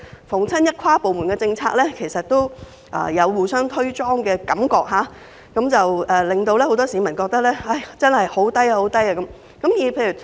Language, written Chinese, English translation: Cantonese, 凡有跨部門政策，相關部門都有互相"推莊"的感覺，以致很多市民覺得政府效率極低。, Whenever there is an inter - departmental policy the departments concerned will keep passing the ball to others court thus giving people an impression that the Government is highly inefficient